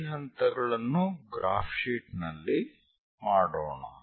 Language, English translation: Kannada, Let us do that these steps on a graphical sheet